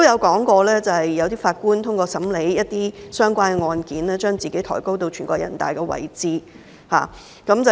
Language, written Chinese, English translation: Cantonese, 他表示有些法官透過審理一些相關案件，把自己抬高至全國人民代表大會的位置。, He said that in hearing relevant cases some judges had elevated themselves to be on a par with the National Peoples Congress